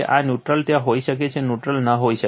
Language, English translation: Gujarati, This is neutral may be there, neutral may not be there